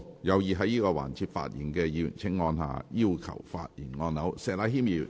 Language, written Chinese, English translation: Cantonese, 有意在這個環節發言的議員請按下"要求發言"按鈕。, Members who wish to speak in this session will please press the Request to speak button